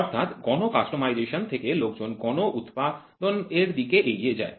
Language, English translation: Bengali, So, from mass customization people move towards mass production